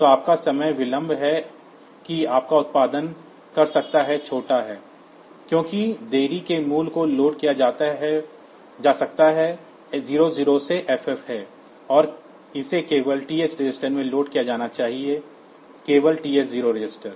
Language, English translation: Hindi, So, your time delay that you can produce is small, because the delay values can be loaded is 00 to FF and it has to be loaded in the TH register only, TH 0 register only